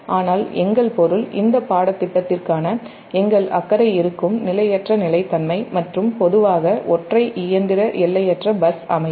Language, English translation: Tamil, about our object, our concern for this course will be transient stability and generally single machine, infinite bus system